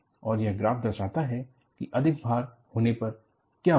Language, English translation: Hindi, And, this graph shows, what happens, when I have over load